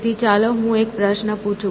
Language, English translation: Gujarati, So, let me ask a question here